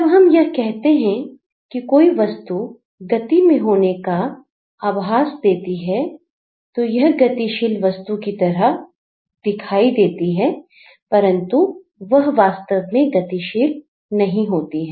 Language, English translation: Hindi, When they say that it gives us a sense of movement, it looks like a moving object but it is not actually moving